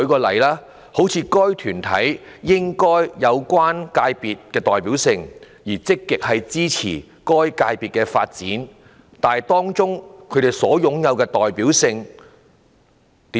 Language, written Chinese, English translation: Cantonese, 例如，"該團體應在有關界別具代表性，而且積極支持該界別的發展"，當中怎樣算是擁有"代表性"？, For example there is a guideline requiring that [a body] should be a representative one and is active in supporting the development of the sector concerned . But what does it mean by representative?